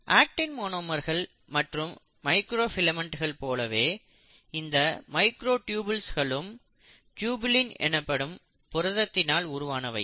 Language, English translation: Tamil, Now the beauty is, just like actin monomers, just like microfilaments the microtubules are made up of another protein called as tubulin and each circle here shows you a tubulin